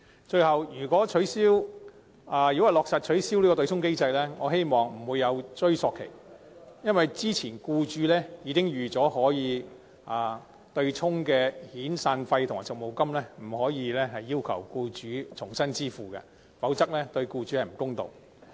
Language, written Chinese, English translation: Cantonese, 最後，如果落實取消對沖機制，我希望屆時不會有追溯期，因為僱主早已預算遣散費和長期服務金可以對沖，故此不應該要求僱主支付，否則對僱主有欠公道。, Lastly if the abolition of the offsetting mechanism is to be implemented I hope there will be no retrospective period because employers already hold the anticipation that severance and long service payments can be offset and so it will be unfair if they are required to make another payment